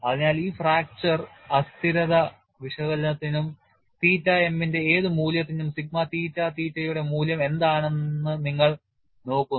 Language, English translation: Malayalam, So, in this fracture instability analysis also, you look at what is the value of sigma theta theta at any value of theta m